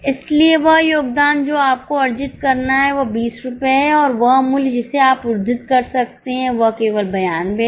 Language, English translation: Hindi, So, contribution which you are supposed to earn is 20 rupees and the price which you can quote is only 92